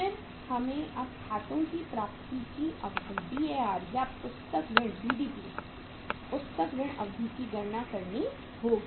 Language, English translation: Hindi, Then we have to calculate now the Dar duration of accounts receivables or the book debt BDP book debt period